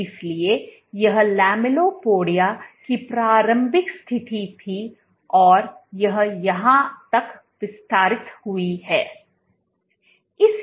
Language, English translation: Hindi, So, this was the initial position of the lamellipodia and it extended to here